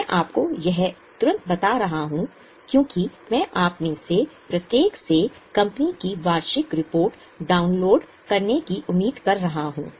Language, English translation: Hindi, I am telling you this right away because I am expecting each one of you to download the annual report of the company